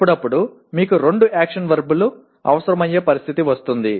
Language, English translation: Telugu, Occasionally you will have a situation where two action verbs are required